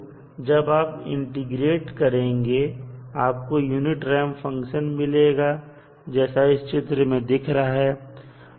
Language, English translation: Hindi, When you integrate you will get a unit ramp function as shown in the figure